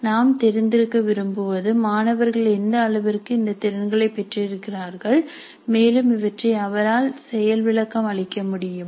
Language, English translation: Tamil, Now we would like to know what is the extent to which the student has acquired these competencies and is able to demonstrate these competencies